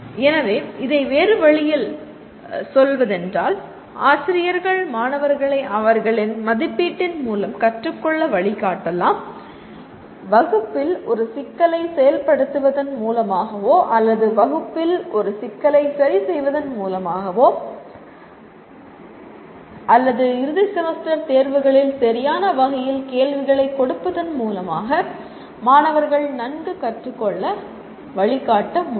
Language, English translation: Tamil, So putting it in another way, teachers can guide students to learn through their assessment by working out a problem in the class or making them work out a problem in the class or giving the right kind of questions in the end semester exams you are able to guide the students to learn well